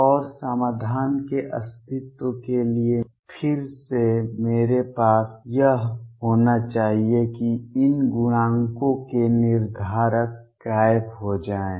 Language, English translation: Hindi, And again for the solution to exist I should have that the determinant of these coefficients must vanish